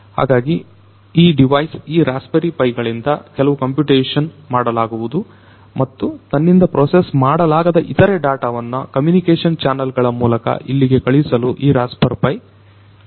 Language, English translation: Kannada, So, certain computation will be done by this device this raspberry pi and this raspberry pi can also help in sending the other data that it cannot process over here through the communication channel it can be sent